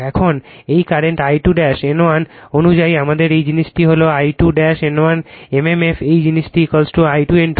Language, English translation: Bengali, Now, this current I 2 dash N 1 as per our this thing this is I 2 dash N 1 mmf this thing is equal to I 2 N 2